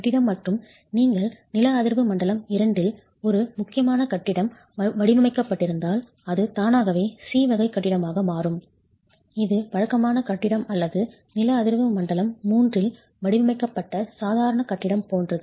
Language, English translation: Tamil, And it's interesting to note that if you have an important building being designed in seismic zone 2 that automatically becomes a category C building which is as good as a regular building or ordinary building being designed in seismic zone 3